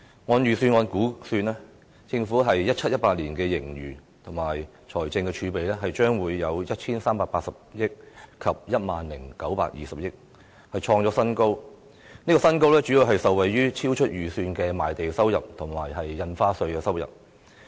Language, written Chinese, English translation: Cantonese, 按預算案估算 ，2017-2018 年度政府的盈餘和財政儲備將分別達 1,380 億元及 10,920 億元，創出新高，主要是受惠於超出預算的賣地收入和印花稅收入。, According to the estimates in the Budget the Government will have a surplus and fiscal reserves of respectively 138 billion and 1,092 billion in 2017 - 2018 hitting a record high mainly thanks to unexpected revenues from land sale and stamp duties . Such circumstances are elusive